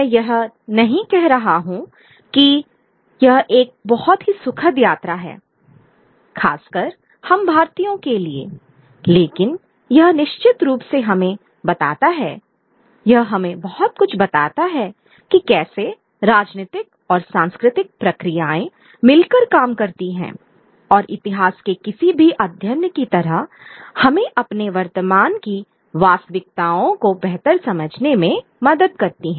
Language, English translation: Hindi, I'm not saying it is a very enjoyable journey especially for us Indians, but it certainly tells us a lot about how political and cultural processes work in tandem and also like any study of history helps us understand our present day realities better